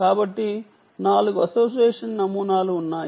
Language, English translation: Telugu, so there are four association models